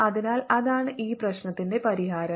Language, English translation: Malayalam, so that is the solution of this problem